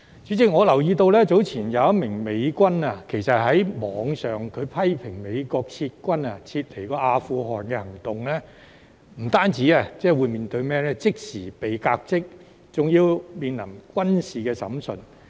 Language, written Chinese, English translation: Cantonese, 主席，我留意到早前一名美軍在網上批評美國撤軍離開阿富汗的行動後，不單即時被革職，還要面對軍事審訊。, President I notice that a United States US soldier who earlier criticized the withdrawal of the US troops from Afghanistan on the Internet was not only dismissed immediately but also had to stand trial in a military court